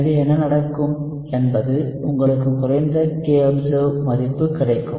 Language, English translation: Tamil, So what will happen is you will have a lower kobserved value